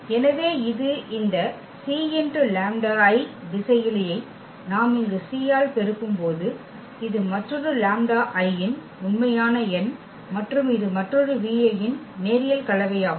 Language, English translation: Tamil, So, this c lambda i when we have multiplied this scalar c here two lambda i that is another real number and this is another linear combination of v i